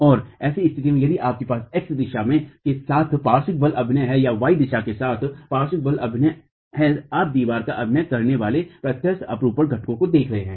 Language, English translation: Hindi, And in such a situation, if you have lateral force acting along the X direction or lateral force acting along the Y direction, you are going to be looking at direct shear components acting on the walls themselves